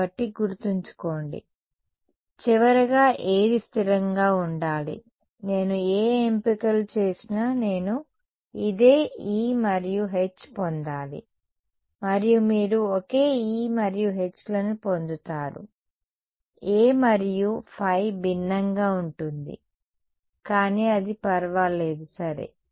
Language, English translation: Telugu, So, remember so, what finally, what should it be consistent with I should get this same E and H regardless of whatever choices I have made and you will get the same E and H, your form for A and phi will be different, but that does not matter ok